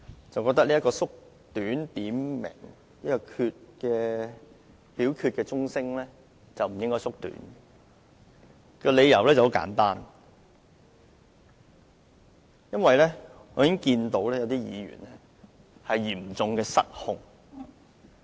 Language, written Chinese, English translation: Cantonese, 主席，我認為點名表決鐘聲的時間不應該縮短，理由很簡單，我見到有些議員已經嚴重失控。, President it is my opinion that the duration of the division bell should not be shortened . The reason is very simple some Members are seriously out of control